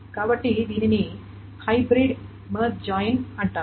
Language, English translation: Telugu, So that is why it is called a hybrid merge joint